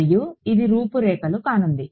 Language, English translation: Telugu, And this is going to be the outline